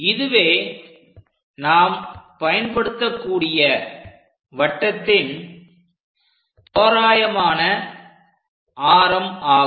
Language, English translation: Tamil, 9 mm this is the approximate circle what we can use